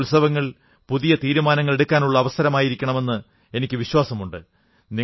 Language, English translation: Malayalam, I am sure these festivals are an opportunity to make new resolves